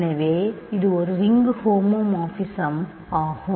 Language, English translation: Tamil, So, this a ring homomorphism